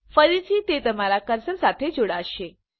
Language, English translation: Gujarati, Again it will be tied to your cursor